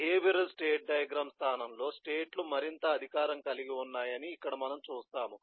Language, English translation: Telugu, but here we will see that in place of a behavioral state diagram the states are more empowered